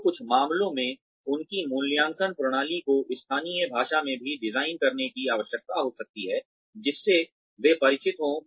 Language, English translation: Hindi, So, in some cases, their appraisal systems, may even need to be designed, in the local language, that they are familiar with